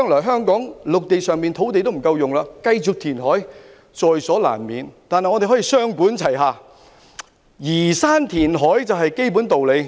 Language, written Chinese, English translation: Cantonese, 香港的陸地將來不夠使用，繼續填海是在所難免的，但我們可以雙管齊下，移山填海是基本的道理。, In view of insufficient land for use in Hong Kong in the future it is inevitable to continue reclamation but we can adopt a two - pronged approach . Removal of hills and reclamation are the basics